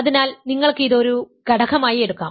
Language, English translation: Malayalam, So, you can take that as an element of this